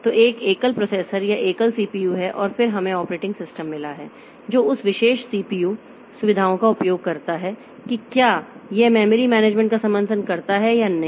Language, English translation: Hindi, So, there is a single processor or single CPU and then we have got the operating system that uses that particular CPU features in terms of whether it supports, say, memory management, whether it supports protection